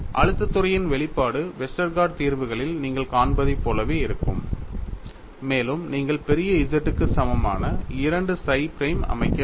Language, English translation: Tamil, The expression of stress field would be same as what you see in the Westergaard solution and you will also have to set 2 psi prime equal to capital Z